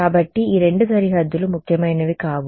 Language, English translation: Telugu, So, these two boundaries are not important